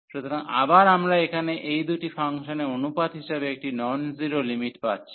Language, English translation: Bengali, So, again we are getting a non zero limit here as the ratio of these two functions